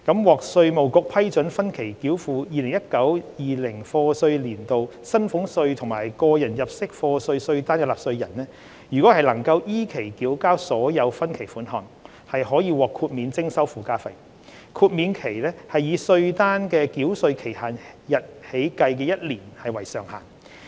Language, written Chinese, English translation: Cantonese, 獲稅務局批准分期繳付 2019-2020 課稅年度薪俸稅及個人入息課稅稅單的納稅人，如能依期繳交所有分期款項，可獲豁免徵收附加費，豁免期以稅單的繳稅期限日起計的一年為上限。, For taxpayers who have obtained the Inland Revenue Department IRDs approval for instalment settlement of the demand notes for salaries tax and personal assessment for YA 2019 - 2020 no surcharge will be imposed for a maximum period of one year counted from the respective due dates of the demand notes provided that the instalment plans are duly adhered to